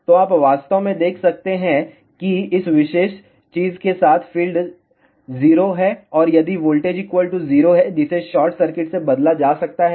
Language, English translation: Hindi, So, you can actually see that along this particular thing field is 0 and if the voltage is equal to 0 that can be replaced by a short circuit